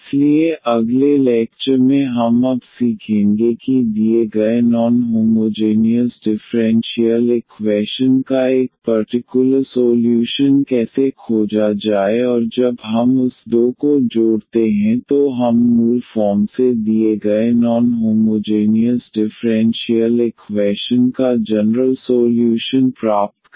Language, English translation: Hindi, So, in the next lecture what we will learn now how to find a particular solution of the given non homogeneous differential equation and when we add that two we will get basically the general solution of the given non homogeneous differential equation